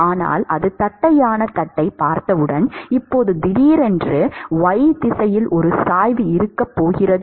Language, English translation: Tamil, But as soon as it sees the flat plate, now suddenly there is going to be a gradient in the y direction